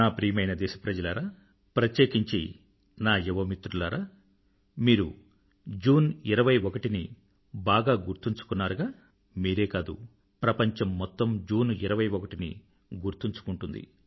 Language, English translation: Telugu, My dear countrymen and especially my young friends, you do remember the 21stof June now;not only you and I, June 21stremains a part of the entire world's collective consciousness